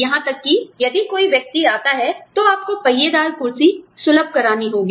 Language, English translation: Hindi, Even, if one person comes, you must provide, the wheelchair accessibility